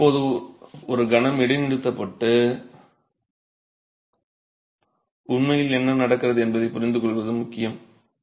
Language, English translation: Tamil, Now it's important to pause for a moment and understand what's really happening